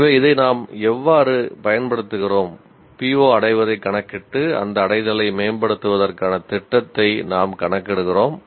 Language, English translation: Tamil, So, this is how we use the, we compute PO attainment and plan for improvement of that attainment